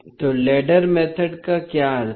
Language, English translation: Hindi, So, what does ladder method means